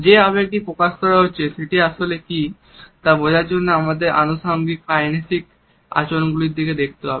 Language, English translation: Bengali, In order to understand what exactly is the emotion which is being conveyed, we have to look at accompanying kinesicbehavior